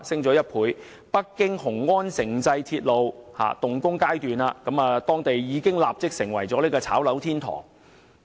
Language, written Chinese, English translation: Cantonese, 儘管北京雄安城際鐵路尚在動工階段，但當地已經變成"炒樓天堂"。, Although the Beijing - Xiongan Intercity Railway is still under construction the local area has already become the paradise of property speculation